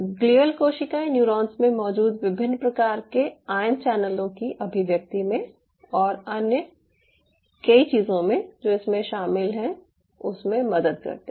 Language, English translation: Hindi, its very interesting to note the addition of glial cell helps in the expression of the different kind of ion channels which are present in the neurons and the series of other things which are involved with it